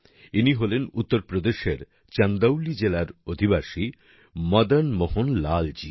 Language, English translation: Bengali, This is Madan Mohan Lal ji, a resident of Chandauli district of Uttar Pradesh